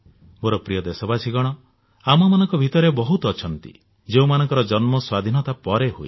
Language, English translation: Odia, My dear countrymen there are many among us who were born after independence